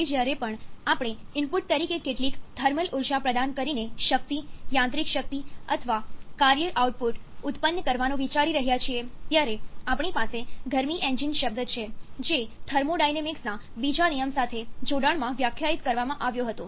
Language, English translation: Gujarati, Now, whenever we are looking to produce power; mechanical power or work output in by providing some thermal energy as an input, we have the term heat engine which was defined in conjunction with a second law of thermodynamics